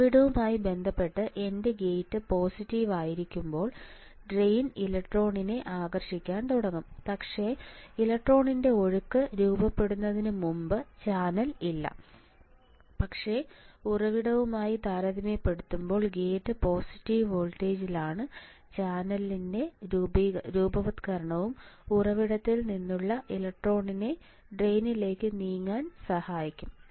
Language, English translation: Malayalam, When my gate is positive with respect to source drain is positive with respect to source, the drain will start attracting the electron from this source, but before the formation of before the flow of electron can happen initially there is no channel, but because the gate is at positive voltage compare to the source that is why there is a formation of channel and this formation of channel will help the electron from the source to move towards the drain creating in a drain current I D